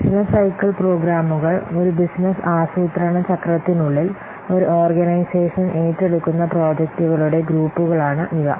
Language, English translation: Malayalam, Business cycle programs, these are the groups of projects that are an organization undertakes within a business planning cycle